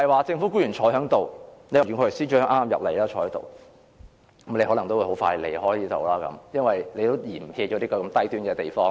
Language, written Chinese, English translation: Cantonese, 政府官員坐在席上，袁國強司長剛進入會議廳坐下，但他可能很快也會離開這裏，因為他也嫌棄這個"低端"的地方。, Among government officials present Secretary for Justice Rimsky YUEN has just entered the Chamber and sat down but he will probably leave the Chamber very soon for he also dislikes such a low - end place